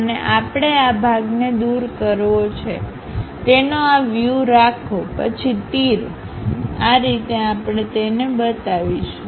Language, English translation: Gujarati, And we want to remove this portion, keep the view of that; then naturally arrows, we will represent at in that way